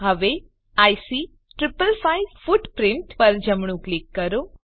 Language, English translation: Gujarati, Now right click on IC 555 footprint